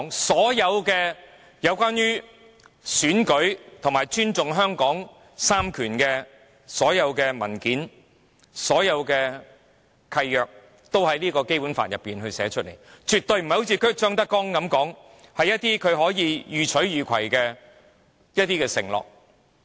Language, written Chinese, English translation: Cantonese, 所有關於選舉和尊重香港三權分立的文件和契約均已在《基本法》中列明，絕非一如張德江所說般，只是一些讓他予取予攜的承諾。, All documents and covenants related to elections and the respect for Hong Kongs separation of powers are already stipulated in the Basic Law . They are not just empty promises to meet the endless demands claimed by ZHANG Dejiang